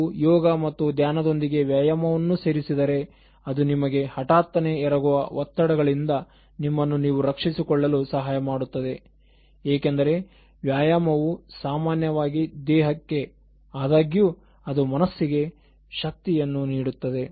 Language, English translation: Kannada, If you can add exercise with something else like yoga and meditation it will help you to safeguard yourself from stress that attacks you at unprepared moments, because exercise is usually for the body although it gives energy to the mind